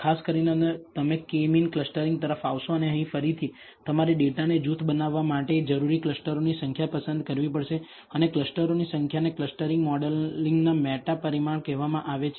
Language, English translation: Gujarati, In particular you will come across K means clustering and here again, you have to choose the number of clusters required to group the data and the number of clusters is called the meta parameter of the clustering modeling